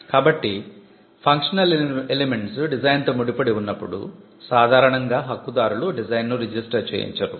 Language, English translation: Telugu, So, when functional elements are tied to the design Right holders normally do not go and get a registered design for it